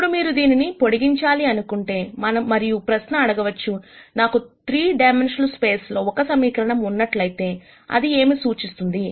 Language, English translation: Telugu, Now, if you want to extend this, and then ask the question, if I have one equation in a 3 dimensional space, what does that represent